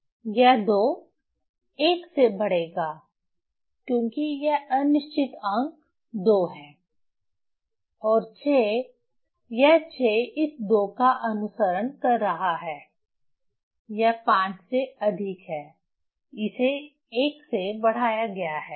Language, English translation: Hindi, This 2 will increase by 1 because this doubtful digit is 2 and 6 is following these 2